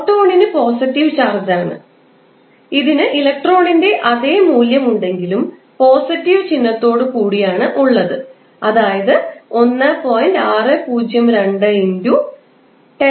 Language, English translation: Malayalam, Now, proton is on the other hand positively charged and it will have the same magnitude as of electron but that is plus sign with 1